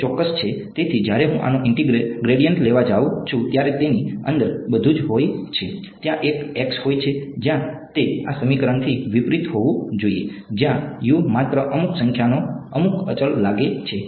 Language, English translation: Gujarati, Its exact, so when I go to take the gradient of this, it has everything inside it there is a x where it should be unlike this equation where U appears to be just some number some constant right